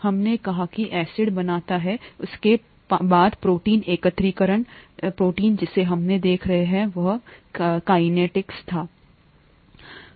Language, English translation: Hindi, We said acid formation, followed by protein aggregation, protein that we are looking at was casein